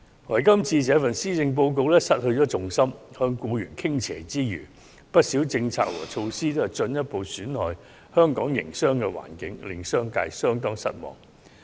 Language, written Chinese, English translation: Cantonese, 可是，今年的施政報告卻失去重心，向僱員傾斜之餘，不少政策和措施皆進一步損害香港的營商環境，令商界相當失望。, However the Policy Address this year has failed to keep its balance by tilting towards employees with a further erosion of the business environment of Hong Kong by many of its proposals and measures a great disappointment to the business sector